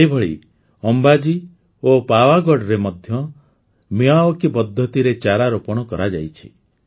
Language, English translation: Odia, Similarly, saplings have been planted in Ambaji and Pavagadh by the Miyawaki method